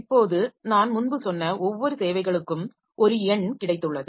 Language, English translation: Tamil, Now, each of the services as I said previously has got a number